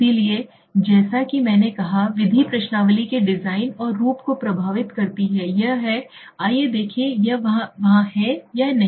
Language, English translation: Hindi, So as I said the method, the method influences the design and form of questionnaire is it, let us see if it is there or not